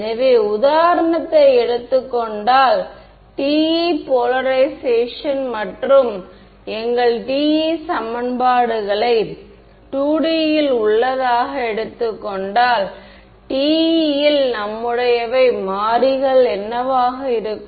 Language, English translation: Tamil, So, if let us take for example, our TE equations TE polarization in 2D what were our variables in TE